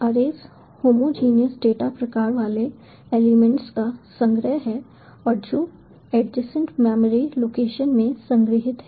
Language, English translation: Hindi, arrays are collection of elements having homogeneous data type and which are stored in adjacent memory locations